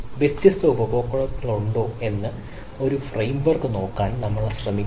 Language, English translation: Malayalam, we try to look at a framework: whether there are different customer